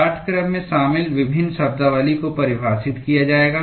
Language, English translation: Hindi, Various terminologies involved in the course will be defined